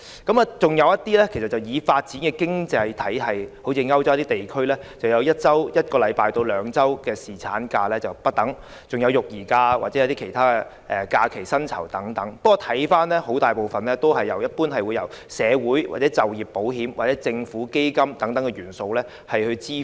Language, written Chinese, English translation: Cantonese, 再來就是一些已發展的經濟體系如歐洲地區，他們的侍產假則由1周至2周不等，還有育兒假或其他假期薪酬等，不過很大部分是由社會保險、就業保險或政府基金等元素來支付。, Furthermore some developed economies such as some European countries have one to two weeks of paternity leave . These European countries also have parental leave or other leave pays . But the costs so incurred are largely subsidized by social security schemes work insurance schemes or government funds